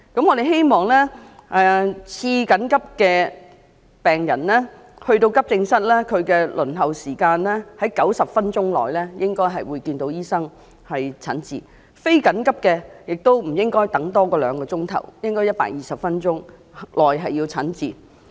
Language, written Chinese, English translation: Cantonese, 我們希望次緊急病人到達急症室，他們的輪候時間為90分鐘內便能看到醫生並讓他診治，非緊急的病人亦不應輪候超過兩小時，應在120分鐘內便能得到診治。, We hope semi - urgent patients could be treated within 90 minutes upon their arrival at any Accident and Emergency Department and non - urgent patients should not wait over two hours that is they should receive treatment within 120 minutes